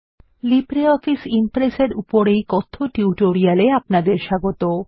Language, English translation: Bengali, Welcome to the Spoken Tutorial on in LibreOffice Impress